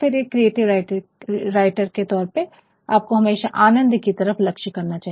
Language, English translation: Hindi, As a creative writer one should always aim at bringing pleasure